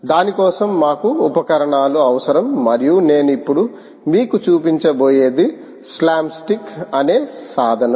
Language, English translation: Telugu, for that we need tools, and what i am going to show you now is a tool called slapstick